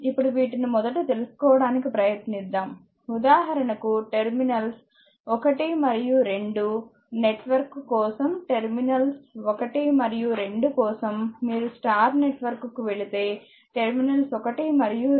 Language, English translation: Telugu, Now, let us let us these first try to find out right; for example, for example, for terminals 1 and 2 for terminals 1 and 2 if you go for star network, for terminals 1 and 2